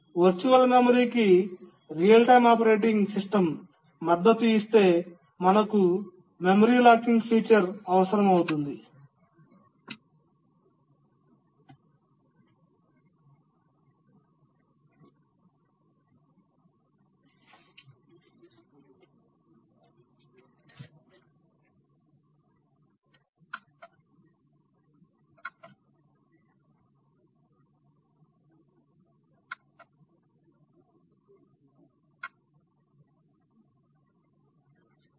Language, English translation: Telugu, If virtual memory is supported by a real time operating system then we need the memory locking feature